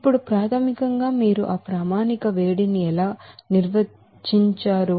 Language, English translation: Telugu, Now, basically how you will define that standard heat of formation